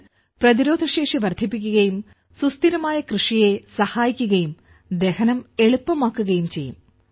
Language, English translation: Malayalam, Which increases immunity and helps in sustainable farming and is also easy to digest